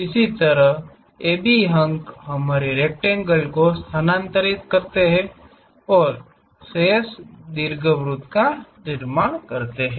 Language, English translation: Hindi, In this way locate AB points transfer our rectangle and construct the remaining ellipse